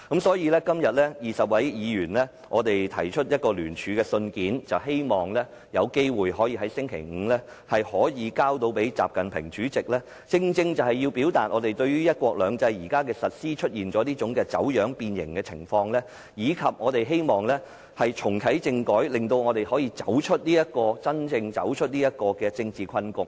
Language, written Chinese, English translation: Cantonese, 所以，今天20位議員聯署信件，希望在星期五可以交給國家主席習近平，以表達我們認為"一國兩制"現時的實施出現走樣、變形，以及希望重啟政改，令香港可以真正走出政治困局。, Twenty Members have jointly signed a letter in the hope that it can be submitted to President XI Jinping this Friday . In the letter we express our view that the implementation of one country two systems has been distorted and deformed as well as our wish to reactivate the constitutional reform so that Hong Kong can really get out of the political predicament